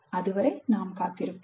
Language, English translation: Tamil, Until then we will wait